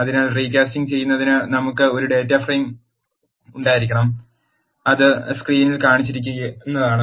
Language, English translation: Malayalam, So, in order to do recasting we have to have a data frame, which is the following which is shown in screen